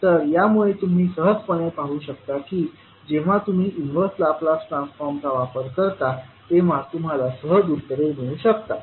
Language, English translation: Marathi, So with this you can simply see that when you apply the Laplace transform of the convolution you can easily get the answers